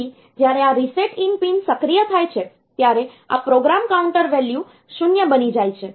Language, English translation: Gujarati, So, when this reset in bar pin is activated this program counter value becomes 0